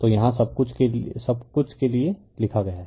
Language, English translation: Hindi, So, this is everything is written here for you